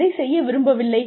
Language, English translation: Tamil, What you want to do